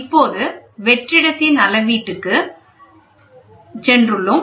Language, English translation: Tamil, So now, we have gone into a measurement of vacuum